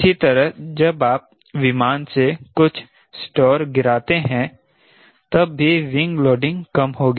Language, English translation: Hindi, similarly, when you drop some stores from the aircraft t he wing loading also will decrease